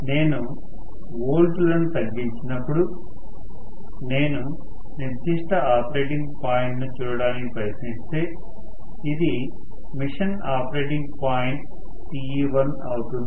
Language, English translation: Telugu, So, as I decrease the volts, if I try to look at particular operating point, may be this is Te1, at which the machine is operating